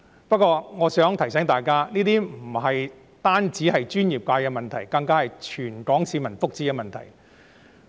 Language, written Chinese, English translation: Cantonese, 不過，我想提醒大家，這不僅是專業界別的問題，更是全港市民福祉的問題。, However I would like to remind Members that this is not just about the professional sector but also about the well - being of all the people of Hong Kong